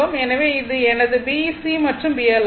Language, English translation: Tamil, So, this is my B C and this is my B L right